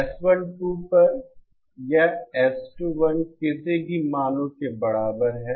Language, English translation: Hindi, This S21 upon S12 is equal to any of the values